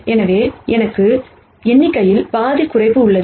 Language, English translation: Tamil, So, I have half reduction in number